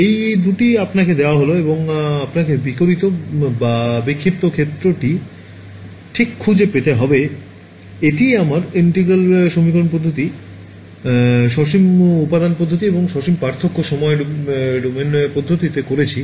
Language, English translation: Bengali, These two are given to you and you have to find the radiated or scattered field right; this is what we did in integral equation methods, finite element method and finite difference time domain method right